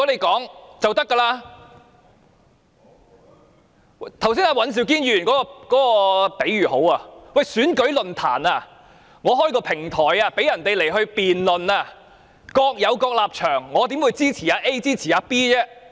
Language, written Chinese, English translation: Cantonese, 剛才尹兆堅議員的比喻很好，某人主持選舉論壇，提供平台供人辯論，參與者各有各立場，主持人怎會支持某一參與者？, Just now Mr Andrew WAN used a very good analogy . An election forum is meant for providing a platform for participants with divergent views to debate why then would the host of the forum support a particular participant?